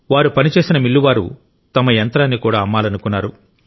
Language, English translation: Telugu, The mill where they worked wanted to sell its machine too